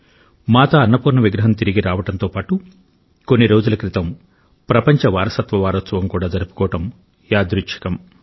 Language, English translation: Telugu, There is a coincidence attached with the return of the idol of Mata Annapurna… World Heritage Week was celebrated only a few days ago